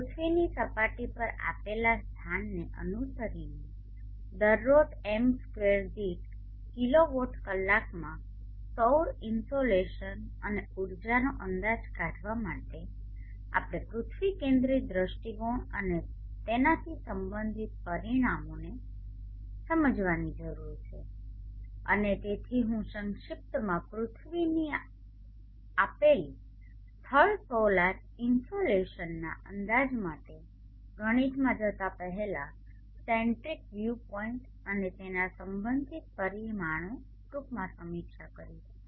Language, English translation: Gujarati, In order to estimate the solar insulation and the energy in kilo watt our per m2 per day following at a given locality on the earth surface we need to understand the earth centric view point and the parameters related to it and therefore I will briefly review the earth centric view point and its related parameters before going in to the max for estimation of the solar insulation at a given place